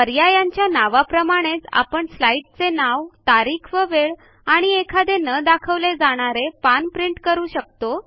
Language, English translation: Marathi, As the text describes, these will print the name of the slide, the date and time and hidden pages, if any